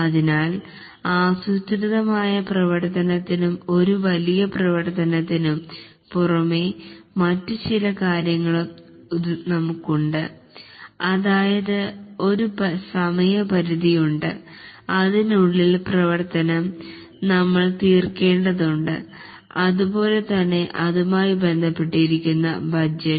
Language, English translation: Malayalam, So, in addition to a planned activity and a large activity, we also have few other things that there is a time period by which we need to complete the work and also there is a budget associated with it